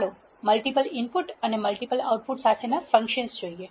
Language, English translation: Gujarati, Let us see the functions with multiple input and multiple outputs